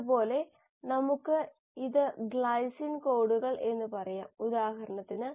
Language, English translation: Malayalam, The same, let us say this codes for glycine, for example